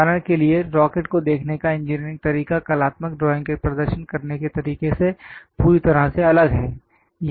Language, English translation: Hindi, For example, the engineering way of looking at rocket is completely different from artistic way of representing drawing